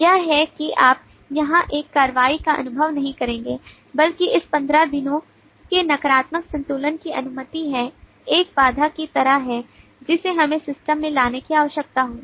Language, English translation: Hindi, this is you would not perceive an action here rather this 15 days negative balance is allowed is more like a constraint that we will need to get into the system